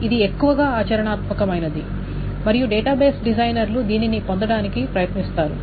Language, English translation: Telugu, Up to this is something which is mostly practical and database designers try to achieve after this